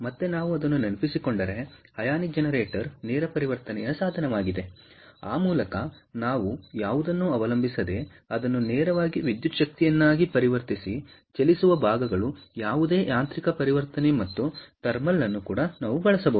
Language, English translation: Kannada, remember again, thermo ionic generator, if we recall, is a direct conversion device whereby we can use thermal energy and directly convert it to electrical energy, without having to depend on any moving parts, any mechanical conversion and so on